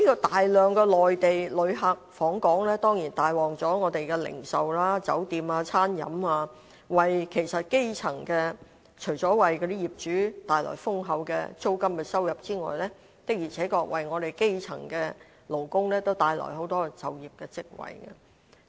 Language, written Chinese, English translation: Cantonese, 大量的內地旅客訪港，當然帶旺了本港的零售、酒店及餐飲業，除了為業主帶來豐厚的租金收入外，的確為基層勞工帶來很多就業機會。, The huge number of Mainland visitors has brought business to the retail trade hotels and the food and beverage industry . Apart from bringing substantial rental income these visitors have really created many job opportunities for grass - roots workers